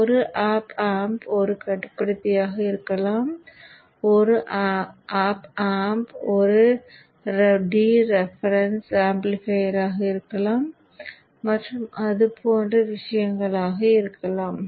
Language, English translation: Tamil, So one op am can be a controller, one op m can be a difference amplifier and things like that